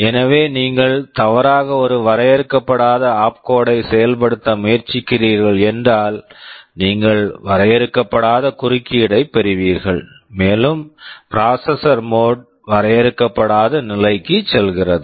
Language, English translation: Tamil, So, if by mistake you are trying to execute an instruction whose opcode is undefined, you get an undefined interrupt and the processor mode goes to undefined state und